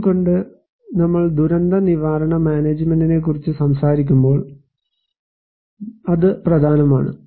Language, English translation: Malayalam, Why, so that is important when we are talking about disaster risk management